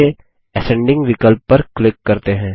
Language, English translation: Hindi, Let us click on the Ascending option